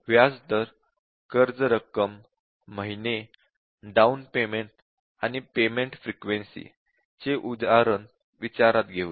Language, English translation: Marathi, Let us consider this example that the interest rate, the amount, the months and then down payment and payment frequency